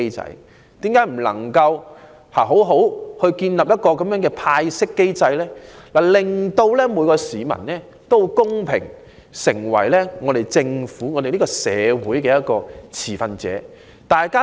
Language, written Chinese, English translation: Cantonese, 為何政府不能好好建立一個派息機制，令每一市民可公平地成為政府、社會運作的持份者？, Why is it not possible for the Government to set up a dividend distribution mechanism properly so that each citizen will become a stakeholder of the work of the Government and social operation in a fair manner?